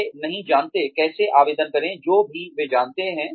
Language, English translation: Hindi, They may not know, how to apply, whatever they know